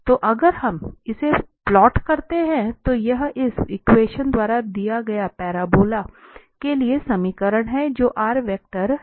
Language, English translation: Hindi, So if we plot this, this is the equation for the parabola given by this, r, vector r